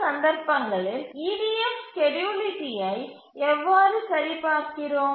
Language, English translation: Tamil, So, in these cases how do we check EDF schedulability